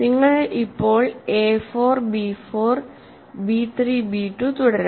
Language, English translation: Malayalam, So, you can continue now a 4 b 4 b 3 b 2